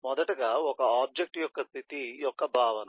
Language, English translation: Telugu, first, naturally, the concept of the state of an object